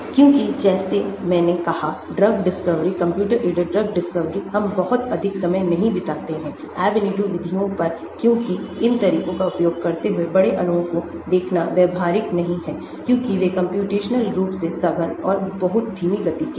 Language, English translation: Hindi, Because like I said drug discovery; computer aided drug discovery, we do not spend too much time on Ab initio methods because it is not practical to look at large molecules using these methods because they are computationally intensive and very slow